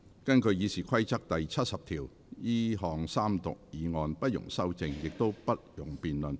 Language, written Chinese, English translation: Cantonese, 根據《議事規則》第70條，這項三讀議案不容修正，亦不容辯論。, In accordance with Rule 70 of the Rules of Procedure the motion for Third Reading shall be voted on without amendment or debate